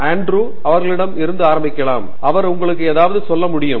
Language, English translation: Tamil, So, I will may be start with Andrew and he can tell you something